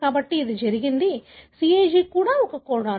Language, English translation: Telugu, So, it so happened, the CAG itself is a codon